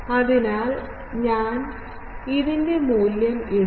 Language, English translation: Malayalam, So, I am putting the value this